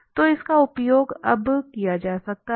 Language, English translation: Hindi, So, this can be used now